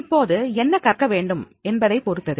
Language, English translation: Tamil, Now it also depends that is the what is to be learned